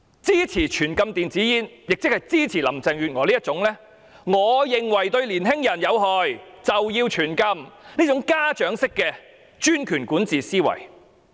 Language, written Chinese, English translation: Cantonese, 支持全面禁止電子煙，即是支持林鄭月娥這種只要認為是對年青人有害，便要全面禁止的家長式專權管治思維。, Supporting a total ban on e - cigarettes means supporting Carrie LAMs patriarchal dictatorship under which anything considered harmful to the youth has to be prohibited comprehensively